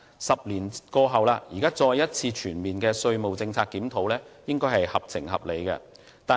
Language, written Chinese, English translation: Cantonese, 十年過後，現在再一次作全面的稅務政策檢討，應該是合情合理的。, Ten years have passed . It is thus sensible and justified that another consultation be conducted to comprehensively review the tax policy